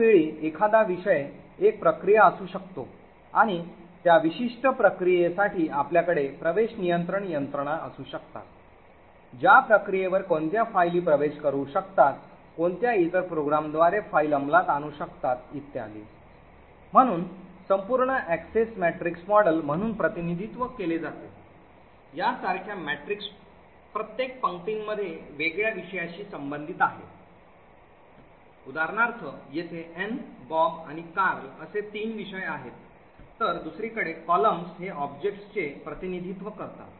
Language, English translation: Marathi, At the same time a subject can be a process and you could have access control mechanisms for that particular process to determine what files that process can access, what other programs that file can execute and so on, so the entire Access Matrix model is represented as a matrix like this, on each row corresponds to a different subject for example over here we have three subjects Ann, Bob and Carl, while the columns on the other hand represent objects